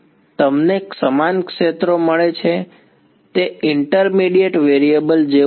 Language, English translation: Gujarati, You get the same fields, its like a intermediate variable